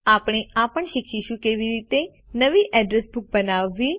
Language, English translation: Gujarati, We will also learn how to: Create a New Address Book